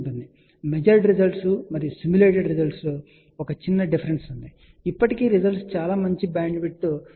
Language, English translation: Telugu, So, there was a small discrepancy in the measured results and simulated results ok, but still the results were fairly good bandwidth is of the order of 19